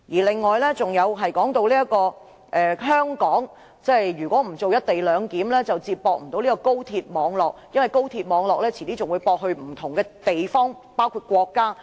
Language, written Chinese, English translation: Cantonese, 此外，葉議員又提到如果香港不實行"一地兩檢"，便無法接駁高鐵網絡，因為高鐵遲些還會接駁到不同地方及國家。, Moreover Mrs IP also said that without the co - location arrangement the Express Rail Link XRL could not be linked to the high - speed rail network because XRL would be connected to other places and countries in the future